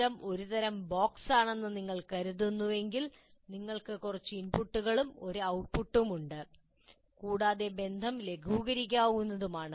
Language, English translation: Malayalam, So if you consider your system is a kind of a box, you have some input, you have some output, there may be several inputs, let us assume there is only one output